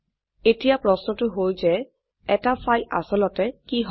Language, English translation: Assamese, Now the question is what is a file